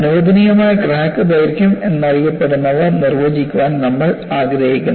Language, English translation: Malayalam, We want to define what is known as a permissible crack length